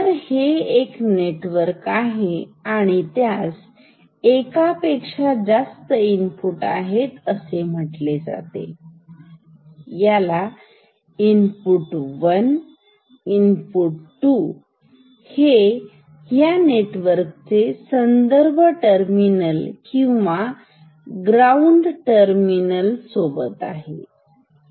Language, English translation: Marathi, So, this is a network and it has multiple inputs say, call it input 1, another is input 2 this is the reference terminal or ground terminal of this network